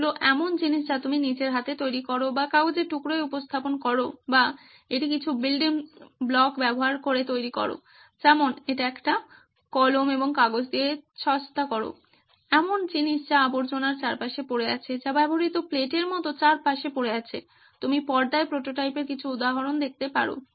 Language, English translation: Bengali, They are things that you make with your own hand or represent on a piece of paper or make it using some building blocks like make it cheap with a pen and paper, with stuff that is lying around junk, that is lying around like used plates what you can see on the screen are some examples of prototypes